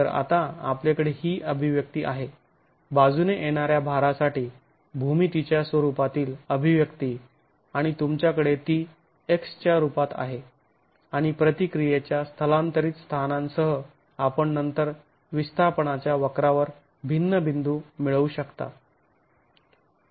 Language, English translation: Marathi, So, now you have this expression, the expression for the lateral load in terms of the geometry of the wall and the you have it in terms of x and with shifting locations of the eccentric of the reaction you can then get different points on the force displacement curve